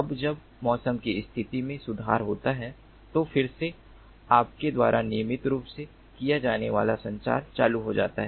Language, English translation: Hindi, now, when the weather condition improves, subsequently again, the regular [com/communication] communication, you know, goes on